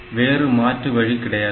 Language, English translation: Tamil, So, you do not have any other option